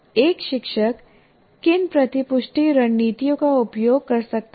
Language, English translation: Hindi, What are some of the feedback strategies a teacher can make use of